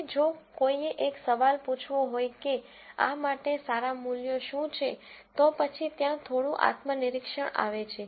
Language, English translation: Gujarati, Now, if one were to ask a question as to, what are good values for this, then that I, where a little bit of subjectivity comes in